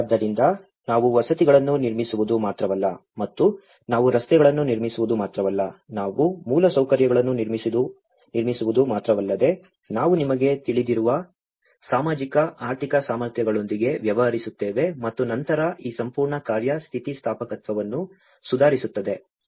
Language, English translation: Kannada, So, it is not just only we build the housing and we are not only building the roads, we are not only building the infrastructure but we are also dealing with the capacities you know, of social, economic and then how this whole setup will also improve resilience